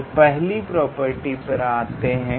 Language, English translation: Hindi, So, let us go to the first property